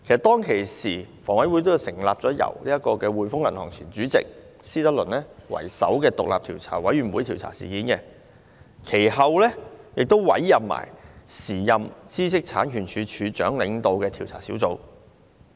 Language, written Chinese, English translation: Cantonese, 當時，房委會成立了一個由滙豐銀行前主席施德論為首的獨立調查委員會調查有關事件，其後一併委任時任知識產權署署長領導的調查小組。, At the time HA first established an investigation panel under the chairmanship of Mr John E STRICKLAND the former Chairman of The Hongkong and Shanghai Banking Corporation Limited HSBC to probe into the incident and then appointed a special panel led by the then Director of Intellectual Property